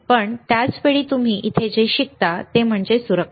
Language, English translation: Marathi, But the same time, what you learn here is what is safety; right